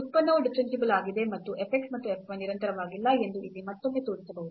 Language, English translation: Kannada, So, the function may be differentiable, but the f x and f y may not be continuous